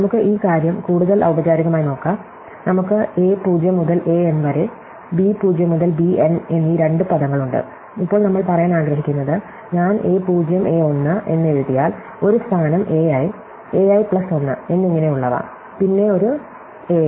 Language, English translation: Malayalam, So, let us look at this thing more formally, so we have two words a 0 to a m and b 0 to b n, and now what we want to say is that if I write out a 0, a 1, then have a position a i, a i+1 and so on, then a m